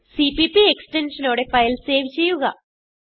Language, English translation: Malayalam, Now save the file with .cpp extension